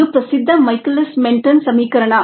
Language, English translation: Kannada, this is the well known michaelis menten equation